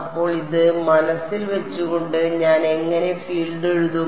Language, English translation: Malayalam, So, with this in mind how do I write the field